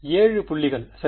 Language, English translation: Tamil, 7 points right